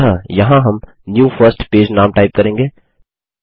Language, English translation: Hindi, So here ,we will type the name as new first page